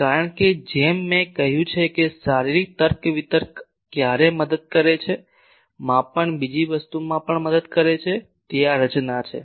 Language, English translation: Gujarati, Because, as I said that physical reasoning sometimes helps on, measurement helps also another thing is this structure